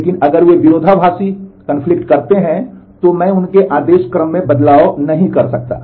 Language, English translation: Hindi, But if they conflict I cannot make the change in their ordering